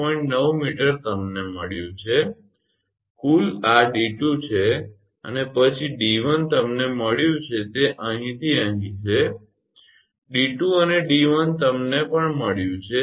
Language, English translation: Gujarati, 9 meter you have got, the total this is the d 2 and then d 1 you have got this is from here to here d 2 and d 1 you have also got